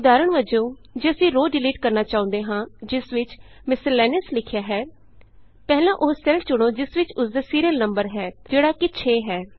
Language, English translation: Punjabi, For example, if we want to delete the row which has Miscellaneous written in it, first select the cell which contains its serial number which is 6